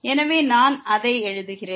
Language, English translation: Tamil, So, let me just write it